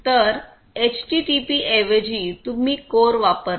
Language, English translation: Marathi, So, you know instead of HTTP you run CORE